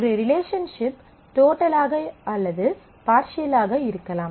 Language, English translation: Tamil, A relationship could be total or it could be partial